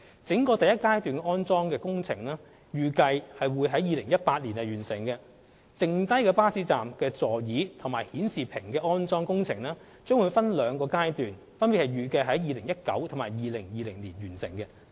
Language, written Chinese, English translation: Cantonese, 整個第一階段安裝工程預計將於2018年完成。至於餘下的巴士站座椅及顯示屏安裝工程，將會分兩個階段並預計於2019年及2020年完成。, The overall first phase installation works for seats and display panels at bus stops are expected to be completed in 2018 while the remaining installation works will be implemented in two phases for scheduled completion in 2019 and 2020 respectively